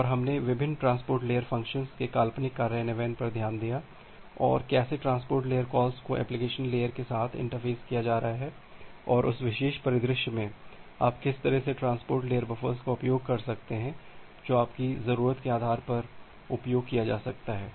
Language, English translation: Hindi, And we have looked into a hypothetical implementation of different transport layer functions and how the transport layer calls are getting interfaced with the application layer and in that particular scenario what type of transport layer buffers you can use based on your need of the application